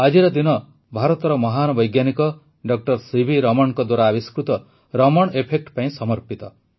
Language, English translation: Odia, The day is dedicated to the discovery of 'Raman Effect' by the great scientist of India, Dr C